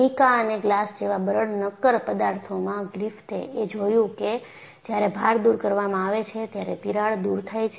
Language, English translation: Gujarati, In fact, in brittle solids like Mica and Glass, Griffith observed when the loads are removed, the crack heals